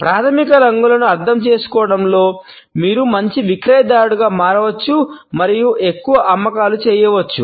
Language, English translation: Telugu, With an understanding of the basic colors, you can become a better marketer and make more sales